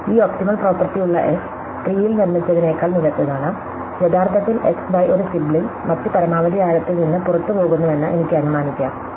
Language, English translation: Malayalam, I can assume that the S, that has this optimal property, which is better in the T I constructed, actually as x and y a sibling leaves other maximum depth